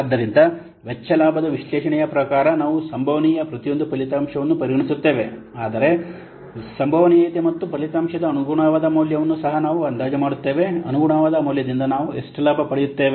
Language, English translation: Kannada, So, according to cost benefit analysis, we will consider each possible outcome also will estimate the probability of its occurring and the corresponding value of the outcome, how much benefit we will get the corresponding value